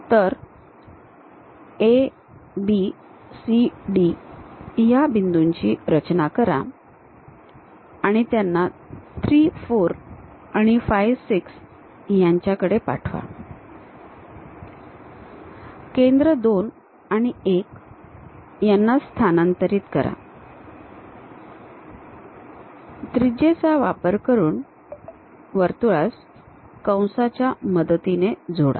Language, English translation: Marathi, So, construct AB CD transfer these data points 3 4 and 5 6 locate centers 2 and 1, use radius, join them as circles through arcs